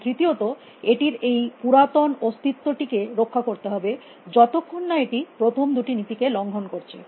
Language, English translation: Bengali, And thirdly, it must protect this old existence, as long it does not by late the first two laws